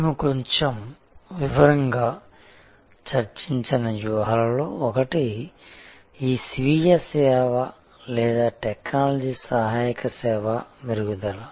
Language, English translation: Telugu, One of the strategies that we discussed a little bit more in detail is this self service or technology assisted service enhancement